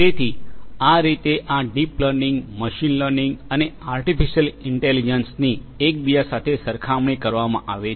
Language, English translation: Gujarati, So, this is how this deep learning, machine learning, and art artificial intelligence is compared to one another